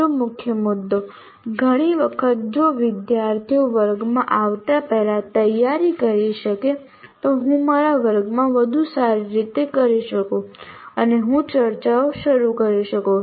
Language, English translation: Gujarati, And another major one, many times if the students can prepare before coming to the class, I can do in my class much better